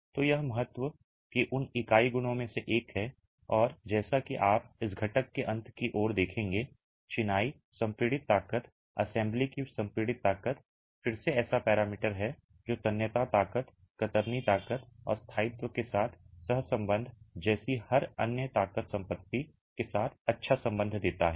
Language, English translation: Hindi, So, it's one of those unit properties of significance and as you will appreciate towards the end of this component, masonry compressive strength, the compressive strength of the assembly is again such a parameter which gives good correlation with every other strength property like tensile strength, shear strength and also correlation with durability